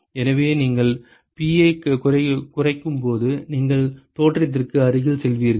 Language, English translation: Tamil, So, as you decrease P you will go closer to the origin